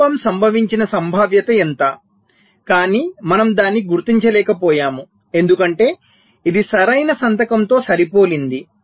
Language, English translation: Telugu, so what is the probability that a fault has occurred but we are not able to detect it because it has matched to the correct signature